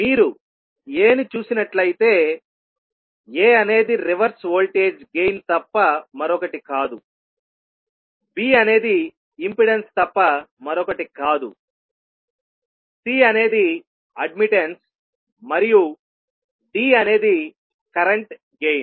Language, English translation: Telugu, If you see A, A is nothing but a reverse voltage gain, B is nothing but the impedance, C is the admittance and D is current gain